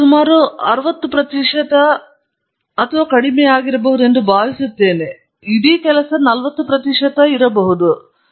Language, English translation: Kannada, I think these constitute about 60 percent or it may be little less, may be about 40 percent of the entire work